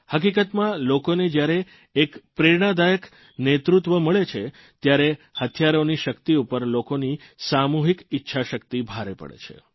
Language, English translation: Gujarati, The fact is, when people are blessed with exemplary leadership, the might of arms pales in comparison to the collective will power of the people